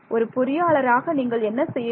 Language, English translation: Tamil, As an engineer, what would you do